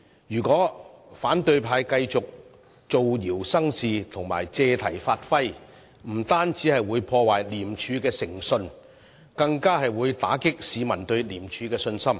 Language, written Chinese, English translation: Cantonese, 如果反對派繼續造謠生事和借題發揮，不單會破壞廉署的誠信，更會打擊市民對廉署的信心。, If the opposition Members keep on spreading rumours creating trouble and making an issue of the matter not only will the credibility of ICAC be undermined public confidence in ICAC will also be brought down